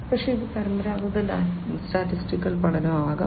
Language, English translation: Malayalam, But, it could be also the traditional statistical learning